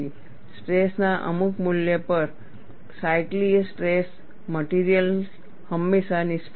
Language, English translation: Gujarati, At some value of stress, cyclical stress, the material always fails